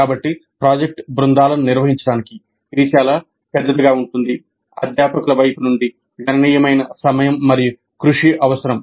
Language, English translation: Telugu, So handling the project teams, which would be very large in number, would require considerable time and effort from the faculty side